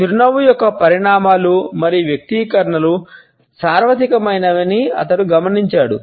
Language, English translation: Telugu, He noticed that the cause consequences and manifestations of a smile are universal